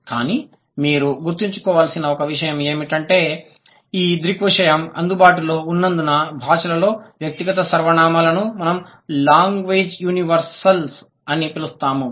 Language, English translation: Telugu, But one thing you need to remember is that because of the availability of this phenomena or sorry of this phenomenon that is personal pronouns across languages we call it language universal